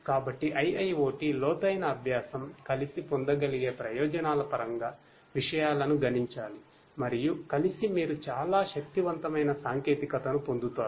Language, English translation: Telugu, So, together IIoT, deep learning together makes things multiplicative in terms of the benefits that can be obtained and together you get a very powerful technology